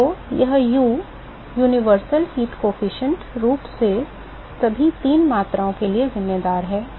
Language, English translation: Hindi, So, this U universal heat transport coefficient it essentially accounts for all three quantities